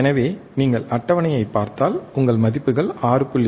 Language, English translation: Tamil, So, if you see the table, your values are 6